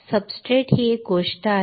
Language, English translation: Marathi, Substrate it is one thing